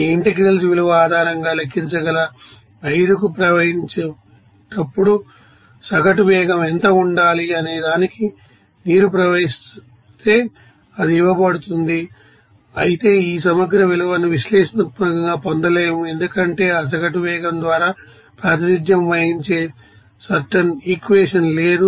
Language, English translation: Telugu, It is given if water is flowing to the 5 what should be the average velocity whenever it will be flowing to the 5 that can be calculated based on this integral value, but this integral value cannot be you know obtained, you know analytically because there is no certain you know equation that is represented by that you know average velocity